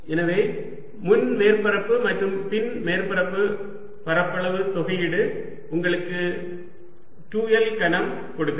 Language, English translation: Tamil, so the front surface and the back surface area integral gives you two l cubed